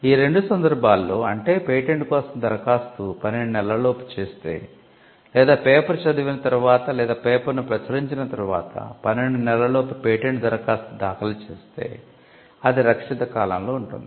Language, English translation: Telugu, In these two cases if the application for the patent is made in not later than twelve months, that is from the date of disclosure by way of reading a paper or publishing a paper within twelve months if a patent application is filed then it would be within the protected period